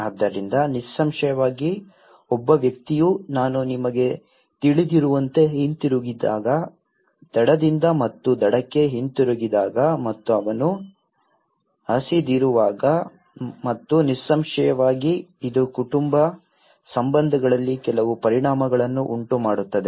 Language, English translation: Kannada, So obviously, when a person returns as I you know, comes back from the shore and to the shore and he is hungry and obviously, it has created certain impacts in the family relationships